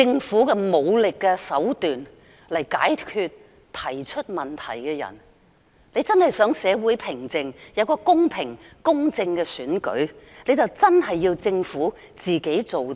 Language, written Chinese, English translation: Cantonese, 以武力手段來解決提出問題的人。如果政府真的想社會回復平靜，有一個公平、公正的選舉，政府便要認真做事。, If the Government really wants to restore social stability and bring forth a fair and impartial election it should do its work with a serious attitude